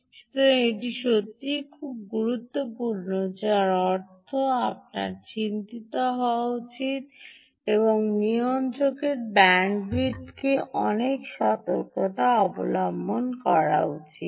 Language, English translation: Bengali, so this is really, really important, which means you should be worried and give a lot of caution to the bandwidth of the regulator